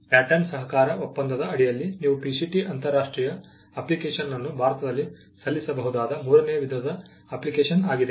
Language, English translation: Kannada, The third type of application you can file in India is the PCT international application under the Pattern Cooperation Treaty